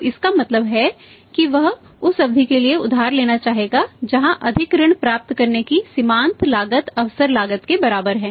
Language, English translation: Hindi, So, it means he would like to borrow for a period where the marginal cost of getting more credit longer credit is equal to the opportunity cost